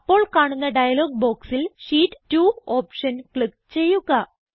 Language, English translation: Malayalam, In the dialog box which appears, click on the Sheet 2 option